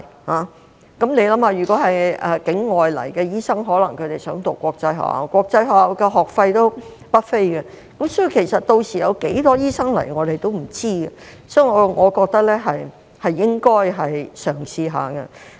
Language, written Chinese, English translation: Cantonese, 大家想一想，如果是境外來港的醫生，他們可能希望子女入讀國際學校，但國際學校的學費不菲，屆時有多少醫生前來，我們也不知道，所以我覺得是應該嘗試一下的。, Think about this doctors coming to Hong Kong from abroad may want to send their children to international schools but school fees of these schools are very expensive . We do not know how many doctors will come to Hong Kong by then so I think such relaxation should be given a try